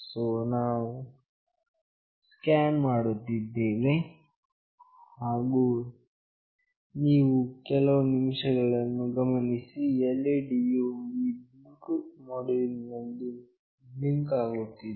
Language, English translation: Kannada, So, we are scanning, and you just notice one thing that the LED is blinking in this Bluetooth module